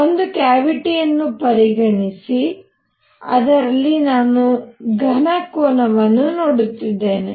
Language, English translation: Kannada, This is the cavity and I am looking into the solid angle